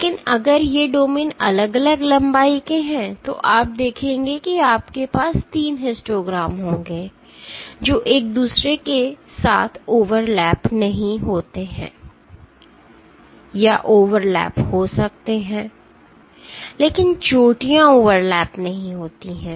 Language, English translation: Hindi, But if these domains are of distinct lengths you will see that you will have 3 histograms, which do not overlap with each other or the overlap might be there, but the peaks do not overlap